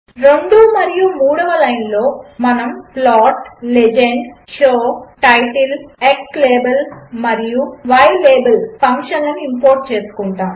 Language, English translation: Telugu, The second and third line we import the functions plot() , legend() , show() , title() , xlabel() and ylabel()